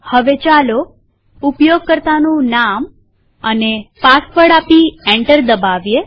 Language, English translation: Gujarati, Now let us type the username and password and press enter